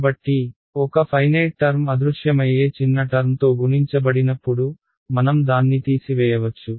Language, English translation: Telugu, So, when a finite term is multiplied by a vanishingly small term, I can get rid off it right